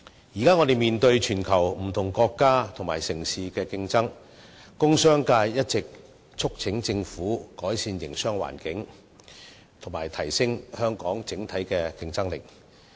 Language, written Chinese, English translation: Cantonese, 現時，我們面對全球不同國家和城市的競爭，工商界一直促請政府改善營商環境，以及提升香港整體競爭力。, Today we are faced with competition from countries and cities all over the world . The business sector has long been urging the Government to improve the business environment and enhance the competitiveness of Hong Kong as a whole